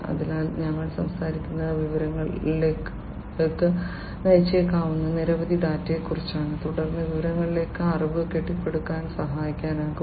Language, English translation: Malayalam, So, we are talking about data, data you know several pieces of data can lead to information and then information can build help in building knowledge